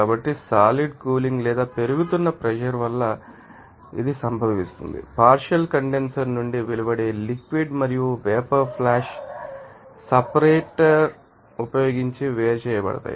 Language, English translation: Telugu, So, condensation is caused by cooling or you know that increasing pressure and liquid and vapor that emerging from the partial condenser are separated using a flash separator